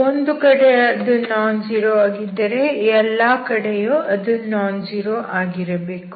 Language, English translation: Kannada, At one place if it is nonzero, it should be nonzero everywhere